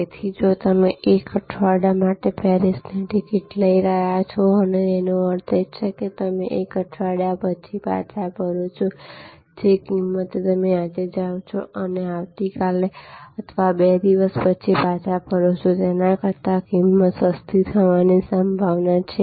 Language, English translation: Gujarati, So, if you are taking a ticket for Paris for a week; that means, you retuning after 1 week the price is most likely to be cheaper than a price which is you go today and comeback tomorrow or 2 days later